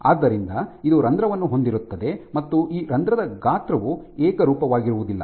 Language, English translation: Kannada, So, this would amount to having a pore and this pore size is not uniform